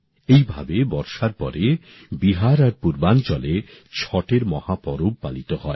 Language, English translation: Bengali, On similar lines, after the rains, in Bihar and other regions of the East, the great festival of Chhatth is celebrated